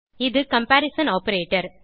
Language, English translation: Tamil, This is the comparison operator